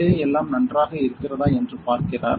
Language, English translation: Tamil, So, he is checking everything inside whether it is fine